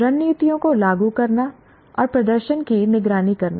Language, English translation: Hindi, Applying strategies and monitoring performance